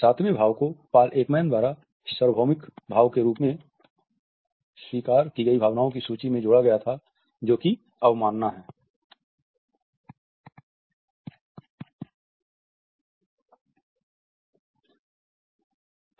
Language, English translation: Hindi, The seventh emotion which was added to the list of universally acknowledged emotions by Paul Ekman was contempt